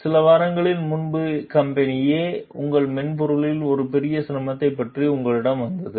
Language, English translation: Tamil, A few weeks ago company A came to you about a major difficulty with your software